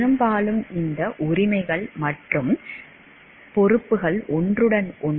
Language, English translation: Tamil, Often, these rights and responsibilities overlap